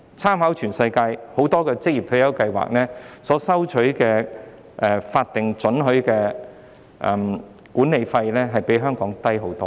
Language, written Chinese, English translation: Cantonese, 參考全世界很多職業退休計劃，這些計劃所收取的法定准許管理費均遠較香港的收費為低。, After making reference to many occupational retirement schemes around the world it is found that those schemes charge a far lower legally permitted management fee than the schemes in Hong Kong